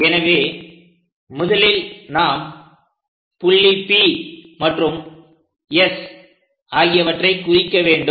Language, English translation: Tamil, So, first of all, we have to locate P and S